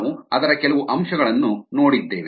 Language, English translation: Kannada, we look at some aspects of that